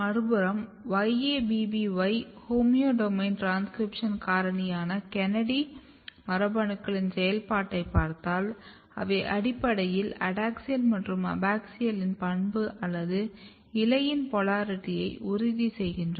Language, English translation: Tamil, On the other hand if you look the activity of YABBY, homeodomain transcription factor KANADI genes, they basically ensures the adaxial versus abaxial property or polarity of the leaf